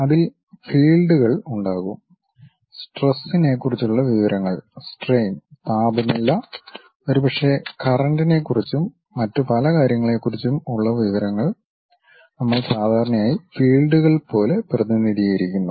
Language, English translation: Malayalam, There will be fields, information about stresses, strains, temperature perhaps the information about current and many other things, we usually represent like fields